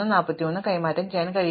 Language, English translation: Malayalam, So, I can exchange the 13 and 43